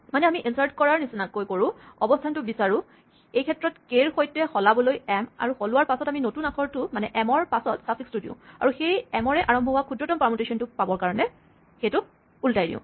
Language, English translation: Assamese, So, we do an insert kind of thing find the position in this case m to swap with k after swapping it we take the suffix after the new letter we put namely m and we reverse it to get the smallest permutation starting with that letter m